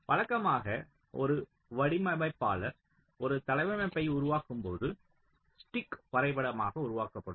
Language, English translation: Tamil, ok, so usually when a designer creates a layout, so usually it is the stick diagram which is created